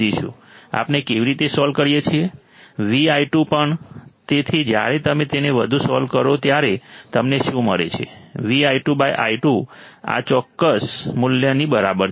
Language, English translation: Gujarati, Also V i 2, so when you further solve it what do you get, V i 2 by i 2 equals to this particular value